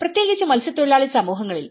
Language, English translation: Malayalam, And especially, in the fishing communities